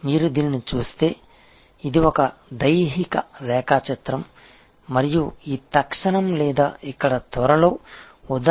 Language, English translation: Telugu, If you look at this, this is a systemic diagram and we will see it is instances or here with the examples soon